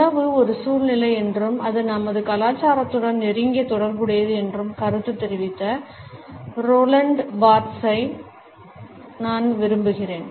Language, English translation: Tamil, I would prefer to Roland Barthes who has commented that food is a situation and it is closely related with our culture